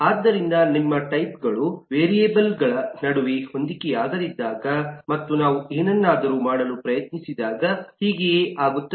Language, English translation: Kannada, so that’s what happens when your types mismatch between variables and when we try to do something with that